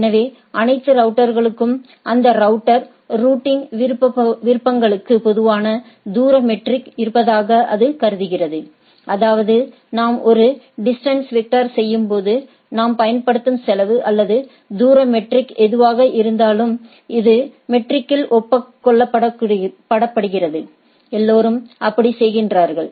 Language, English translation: Tamil, So, it assumes all routers have a common distance metric to that router routing preferences; that means, while we do a distance vector, I take care that the whatever the cost or the distance metric we are using, this is agreed upon metric, everybody is doing like that